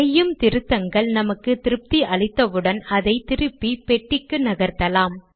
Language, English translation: Tamil, Once we are satisfied with any changes that we may want here, we can put it back inside the box